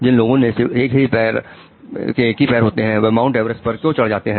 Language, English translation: Hindi, Why do people who have one leg go on to Mount Everest